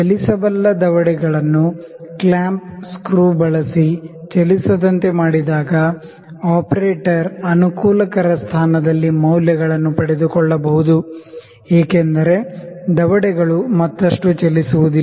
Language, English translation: Kannada, The moveable jaw when it is locked using the clamping screw, the operator now note on the reading in a convenient position because the jaws will not move further